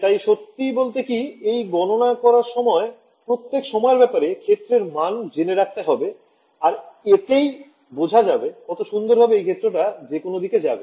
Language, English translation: Bengali, So, actually when you do these calculations you can store the field values at every time snap you can see very beautifully field is travelling outwards in whatever direction